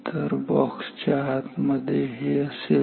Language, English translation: Marathi, So, this is what is there inside the box ok